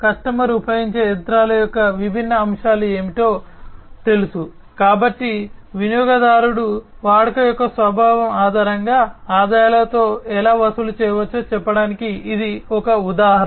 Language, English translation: Telugu, You know what are the different what are the different aspects of the machinery that is used by the customer, so that is also an example of how the customer can be charged with the revenues, based on the nature of the usage